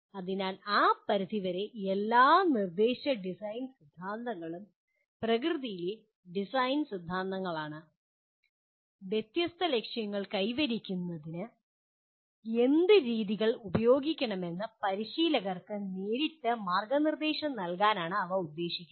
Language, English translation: Malayalam, So to that extent all instruction design theories are design theories in nature and they are intended to provide direct guidance to practitioners about what methods to use to attain different goals